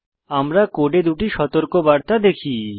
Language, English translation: Bengali, We see 2 warnings in the code